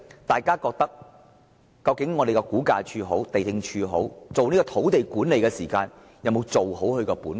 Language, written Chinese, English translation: Cantonese, 大家自然會想，估價署和地政總署在進行土地管理時有沒有做好本分？, Members may query if RVD and LandsD have done their job properly in respect of land management